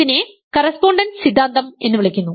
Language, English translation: Malayalam, And this is called correspondence theorem